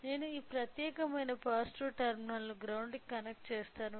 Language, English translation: Telugu, I will connect I will connect this particular positive terminal to ground